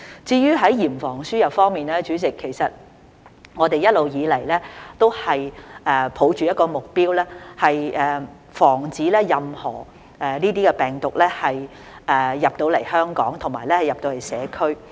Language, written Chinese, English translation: Cantonese, 至於在嚴防輸入方面，主席，其實我們一直以來都抱着一個目標，就是防止任何病毒進入香港和進入社區。, As regards the rigorous prevention of importation of cases President in fact we have always been pursuing the objective of preventing any virus from entering Hong Kong and the community